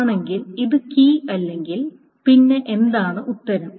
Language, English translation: Malayalam, Otherwise, if it is not the key, then what is the answer